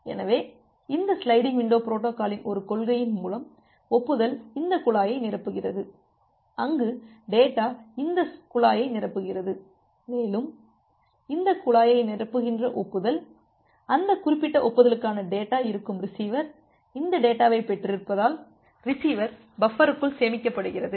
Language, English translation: Tamil, So, by a principle of this sliding window protocol, the acknowledgement will filled up this pipe where as the data, will filled up this pipe, and that way the acknowledgement which are filling up this pipe, the data will for those particular acknowledgement will be stored inside the receiver buffer because receiver has received this data